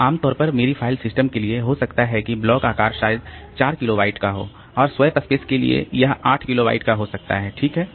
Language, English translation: Hindi, So, normally may be my for my file system that block size may be say 4 kilobyte and while for the swap space so this is made 8 kilobyte